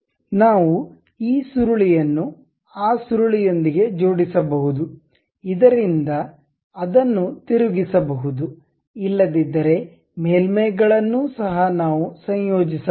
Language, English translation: Kannada, We can mate this spiral with that spiral, so that it can be screwed otherwise surfaces are also we can really mate it